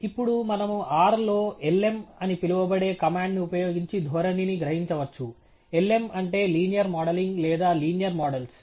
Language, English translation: Telugu, Now, we could extract the trend using what a routine known as lm in R, lm stands for linear modelling or linear models